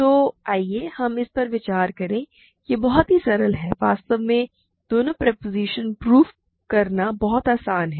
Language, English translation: Hindi, So, let us consider it is very simple both propositions are in fact, very easy to prove